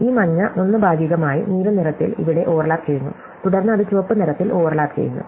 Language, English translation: Malayalam, So, this yellow one partly overlaps with the blue at the middle, over here, and then it overlaps with the red one over here, right